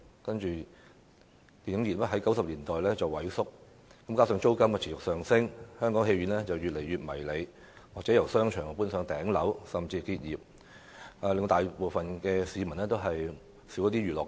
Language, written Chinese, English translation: Cantonese, 可是，電影業自90年代開始萎縮，加上租金持續上升，電影院變得越來越迷你，有些電影院由商場搬到頂樓，甚至結業，大部分市民的娛樂好去處大為減少。, However the film industry has been shrinking since the 1990s and coupled with the continuous increase in rents cinemas have become smaller and smaller . Some cinemas have been relocated from shopping malls to the top floors and some of them had even closed down . The number of venues for public entertainment has greatly reduced